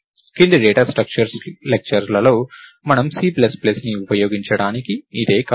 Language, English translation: Telugu, So, in the lectures on data structures, you will see syntax of C plus plus